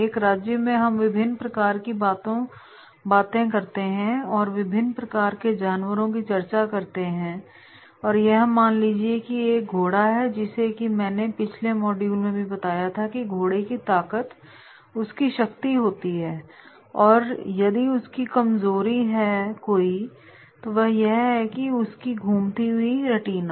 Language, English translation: Hindi, In the kingdom we talk about that is what there are different types of animals, suppose there is a horse so as I mentioned earlier also in earlier modules that horse’s strength is his power but its weakness is rotating retina